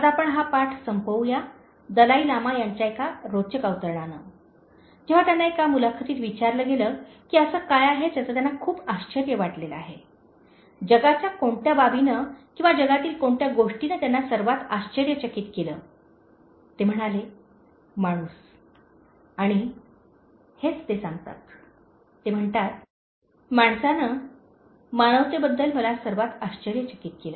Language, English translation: Marathi, Now, let us end this lesson with an interesting quote from The Dalai Lama, when he was asked in an interview what is it that surprises him so much, what aspect of the world or what thing in the world surprised him the most, he said man and this is what he says, he says: “Man surprised me most about humanity